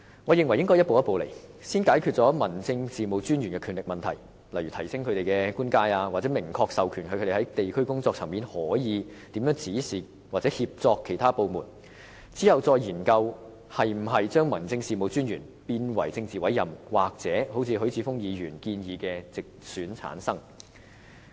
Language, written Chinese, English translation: Cantonese, 我認為應該一步一步來，就是先解決 DO 的權力問題，例如提升他們的官階，明確授權他們在地區工作層面可以指示或協作其他部門，之後再研究是否將 DO 改為政治委任，又或如許智峯議員所建議般經直選產生。, I think reform should be carried out step by step . First the power of DOs should be increased such as raising their rank and stipulating that they have the power to instruct or coordinate other departments on district level . Then the Government may study the feasibility of making DOs politically appointed or directly elected as suggested by Mr HUI Chi - fung